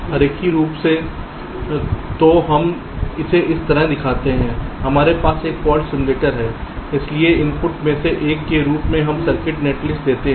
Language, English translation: Hindi, so we ah just show it like this: we have a fault simulator, so as one of the inputs we give the circuit netlist